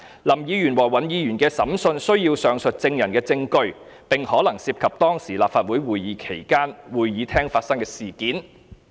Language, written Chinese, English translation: Cantonese, 林議員和尹議員的審訊需要上述證人的證據，並可能涉及當時立法會會議期間會議廳發生的事件。, The evidence of the above - named witnesses will be necessary in the trial of Hon LAM and Hon WAN and may involve events which had happened in the Chamber while the Council meeting was held